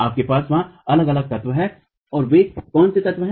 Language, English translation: Hindi, You have different elements there and what are those elements